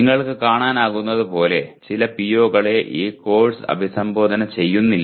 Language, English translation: Malayalam, So as you can see some of the POs are not addressed by this course